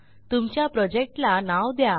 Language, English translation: Marathi, Give a name to your project